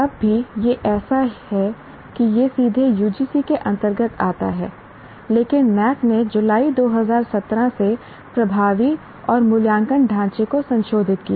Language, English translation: Hindi, It comes directly under UGC, but NAC revised the assessment and accreditation framework effective from July 2017